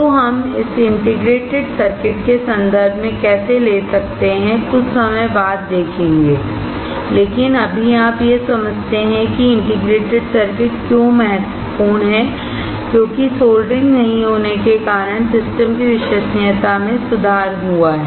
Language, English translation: Hindi, So, we will see; how we can take this into context of integrated circuit sometime later, but right now you understand that why the integrated circuits are important, because it has improved system reliability to due to the elimination of solder joints